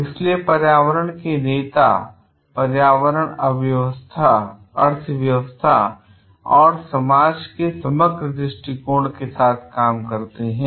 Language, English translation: Hindi, So, environmental leaders act with an holistic view of the environment economy and society and then they